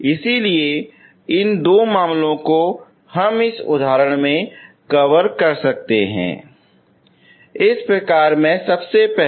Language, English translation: Hindi, So these two cases we can cover in this example, in this type first of all